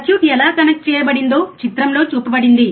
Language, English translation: Telugu, How the circuit is connected is shown in figure